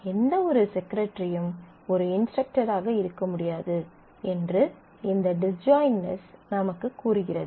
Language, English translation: Tamil, So, we say that this disjointness tell us that no instructor can be a secretary and no secretary can be an instructor